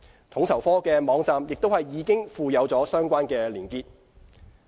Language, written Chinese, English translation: Cantonese, 統籌科的網站亦已附有相關連結。, A link to the guidelines has also been provided on FSOs website